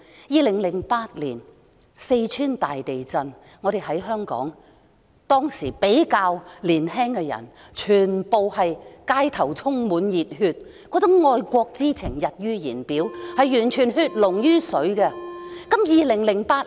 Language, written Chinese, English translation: Cantonese, 2008年，四川大地震，香港比較年輕的人充滿熱血，走上街頭捐款，愛國之情溢於言表，展現血濃於水的情懷。, In 2008 the earthquake in Sichuan brought many passionate young people in Hong Kong to the streets to solicit donations for the victims; their strong love for the country and our fellow countrymen was clearly seen